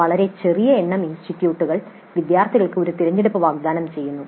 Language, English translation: Malayalam, A very small number of institutes do offer a choice to the students